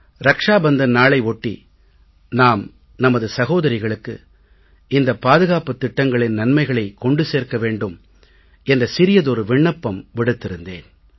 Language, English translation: Tamil, I had made a humble request that on the occasion of Raksha Bandhan we give our sisters these insurance schemes as a gift